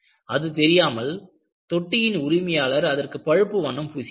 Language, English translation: Tamil, Without knowing that, the owner of the tank painted it brown